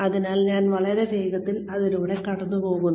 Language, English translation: Malayalam, So, I will go through this, very very quickly